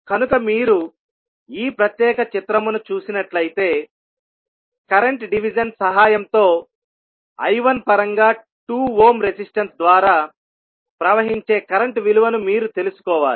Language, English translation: Telugu, So, if you see this particular figure you need to find out the value of current flowing through 2 ohm resistance in terms of I 1, with the help of current division